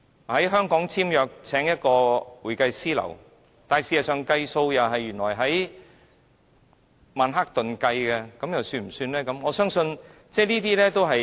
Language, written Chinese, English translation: Cantonese, 在香港簽約，聘請一家會計師事務所，但原來結帳的地點是在曼克頓，這樣又算不算呢？, And in another case where the contract is signed and an accountant is hired in Hong Kong should the leasing services be regarded as offshore if the accounts are settled in Manhattan?